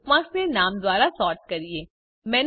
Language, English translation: Gujarati, The bookmarks are sorted by name